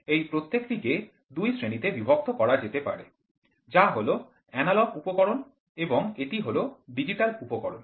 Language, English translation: Bengali, So, this direct can be classified into two which is analog instrument and this is digital instruments